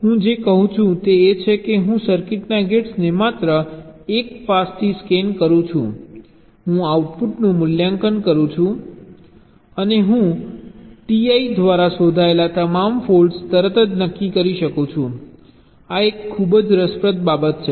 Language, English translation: Gujarati, what i am saying is that i scan the gates in the circuit just one pass, i evaluate the output and i can immediately determine all faults detected by t